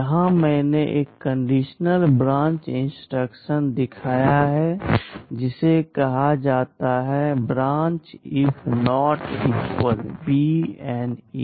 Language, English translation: Hindi, Here I have shown one conditional branch instruction called Branch if Not Equal